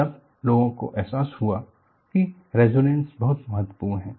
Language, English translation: Hindi, Then people realized resonance is very important